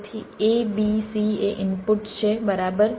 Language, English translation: Gujarati, so a, b, c are the inputs right